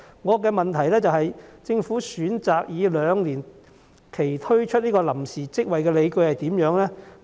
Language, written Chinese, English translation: Cantonese, 我的補充質詢是，政府選擇以兩年為期推出臨時職位的理據為何？, What are the Governments justifications for taking two years to roll out these temporary positions?